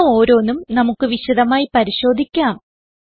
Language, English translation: Malayalam, We will look into each of these features in detail